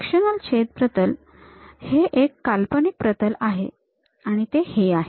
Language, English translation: Marathi, The sectional cut plane is an imaginary plane, this is the one